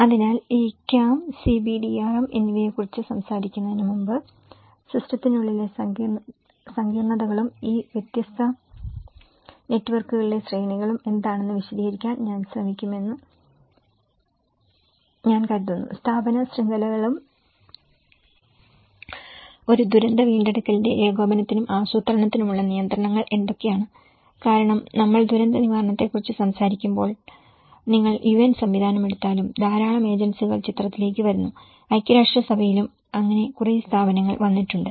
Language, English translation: Malayalam, So, before we talk about these CAM and CBDRM, I think I will try to explain you what are the complexities within the system and the hierarchies on these different networks; the institutional networks and what are the kind of constraints on coordination and planning of a disaster recovery because when we talk about disaster recovery, a lot of agencies comes into the picture especially, even if you take the system of UN; United Nations so, there been a number of bodies coming